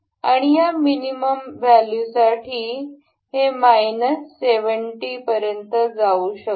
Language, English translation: Marathi, And for this minimum value this could go to minus 70